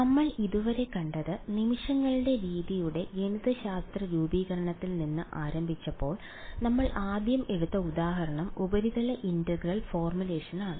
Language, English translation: Malayalam, What we have seen so far is when we started with the mathematical formulation of method of moments, the first example we took was the surface integral formulation